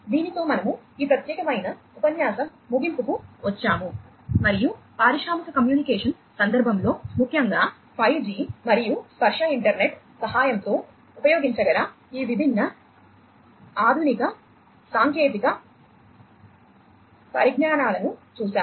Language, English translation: Telugu, With this we come to an end of this particular lecture and we have looked at some of these different modern technologies that could be used in the context of industrial communication particularly with the help of 5G and tactile internet and so on